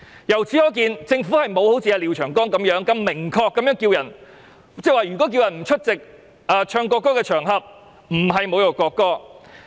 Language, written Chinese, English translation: Cantonese, 由此可見，政府並沒有像廖長江議員般，明確指出呼籲別人不出席唱國歌的場合並不等於侮辱國歌。, From this we can see that the Government has not as what Mr Martin LIAO has done stated specifically that calling on other people not to attend an occasion where the national anthem is played is not tantamount to insulting the national anthem